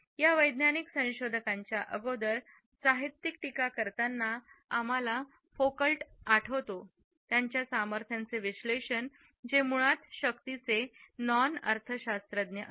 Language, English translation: Marathi, In literary criticism even prior to these scientific researchers we remember Foucault for his analysis of power which is basically a non economist analysis of power